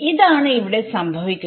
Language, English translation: Malayalam, So, this is this is what is happening